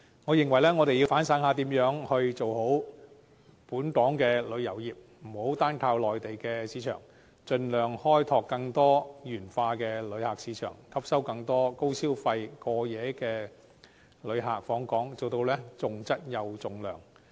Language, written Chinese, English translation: Cantonese, 我認為，我們要反省一下如何改善本港旅遊業，不要單靠內地市場，應該盡量開拓更多元化的旅客市場，吸引更多高消費過夜旅客訪港，以期重質又重量。, I think we should consider how our tourism industry can be improved . We should not rely solely on the Mainland market but should try to develop more diversified visitor source markets to attract more high - spending overnight visitors to Hong Kong attaching importance to both quality and quantity